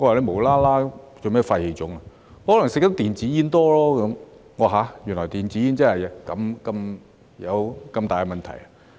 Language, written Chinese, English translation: Cantonese, 他說可能因為吸食太多電子煙，我說原來電子煙真的有這麼大的問題。, He replied that it was probably because he had smoked e - cigarettes excessively and I came to realize that e - cigarettes can really be such a big problem